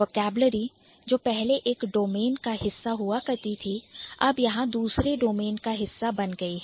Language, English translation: Hindi, A vocabulary, it used to be a part of one domain and now it has become a part of the other domain